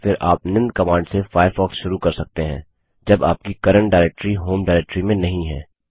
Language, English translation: Hindi, Alternately, you can launch Firefox by using the following command when your current directory is not the home directory